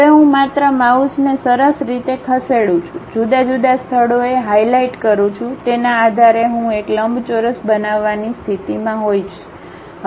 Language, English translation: Gujarati, Now, I just nicely move my mouse, release at different locations, based on that I will be in a position to construct a rectangle